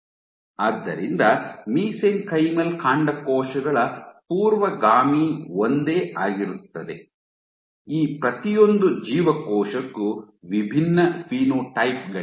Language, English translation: Kannada, So, mesenchymal stem cells precursor is the same, you have distinct phenotypes for each of these cells